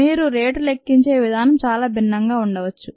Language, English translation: Telugu, the way you measure rate could be very different